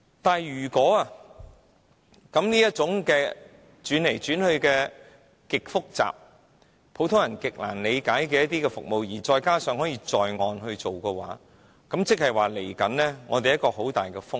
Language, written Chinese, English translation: Cantonese, 但是，如果這種轉來轉去、極度複雜、普通人難以理解的服務可以在岸做，換言之，未來我們將承受很大的風險。, However we will have to bear substantial risks in the future if these ever - shifting complicated businesses unintelligible to laymen are allowed to operate as onshore businesses